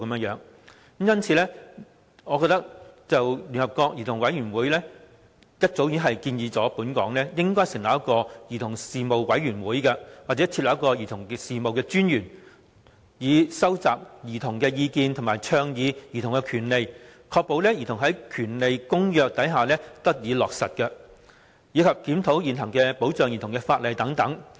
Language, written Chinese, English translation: Cantonese, 就此，聯合國兒童權利委員會早已建議本港應成立"兒童事務委員會"或增設"兒童事務專員"，以收集兒童的意見及倡議兒童權利，確保《兒童權利公約》得以落實，以及檢討現行保障兒童的法例等。, In this connection the United Nations Committee on the Rights of the Child made the recommendation long ago that Hong Kong should establish a commission on children or appoint a commissioner for children to collect childrens views and advocate childrens rights ensure implementation of the United Nations Convention on the Rights of the Child review the existing laws on child protection etc